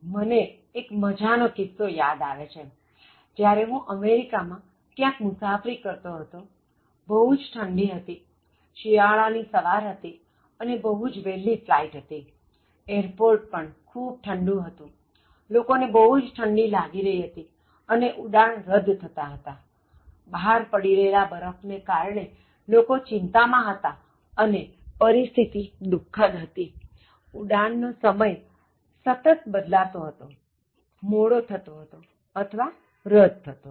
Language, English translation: Gujarati, I remember a very interesting occasion when I was traveling somewhere in the US, it was a very cold, wintry morning and it is a very early flight and the airport itself was too cold and people also were feeling that cold and flights were getting canceled, people were worried about the snow outside and that was a very grim situation, flights continuously getting rescheduled or delayed or cancelled